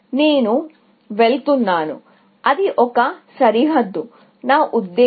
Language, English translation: Telugu, I am going to; that is a bounding, I mean